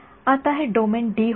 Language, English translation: Marathi, Now this domain was capital D